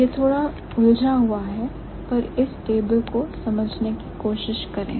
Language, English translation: Hindi, So, it's a little clumsy but try to understand the table